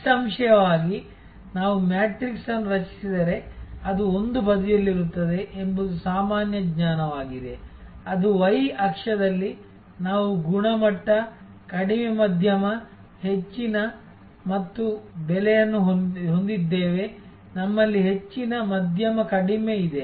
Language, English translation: Kannada, Obviously, this is almost a common sense that if we create a matrix, which on one side; that is on the y axis we have quality, low, medium, high and price, we have high, medium low